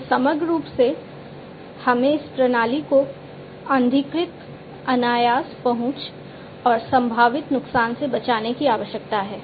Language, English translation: Hindi, We have to holistically, we need to protect we need to protect this system from unauthorized, unintended access and potential harm to the system